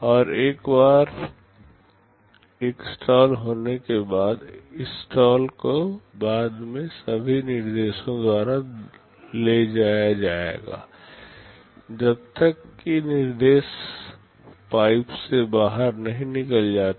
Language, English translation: Hindi, And once a stall is there this stall will be carried by all subsequent instructions until that instruction exits the pipe